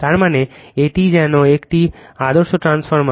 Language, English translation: Bengali, That means, this one as if it is an ideal transformer